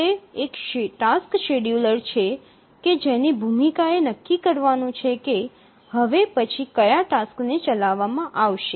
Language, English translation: Gujarati, So, it is the task scheduler whose role is to decide which task to be executed next